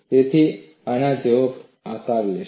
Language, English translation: Gujarati, So, this will take a shape like this